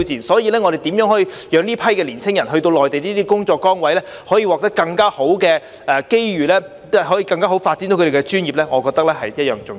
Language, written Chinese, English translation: Cantonese, 所以，我們如何讓這批年青人到內地這些工作崗位，可以獲得更好的機遇，更好地發揮他們的專業，我覺得是同樣重要。, For that reason I consider it is equally important for us to help these young people working in the Mainland to have better opportunities so that they can showcase their professional capabilities . Moreover the Hong Kong Government should improve its coordination with Guangdong and Macao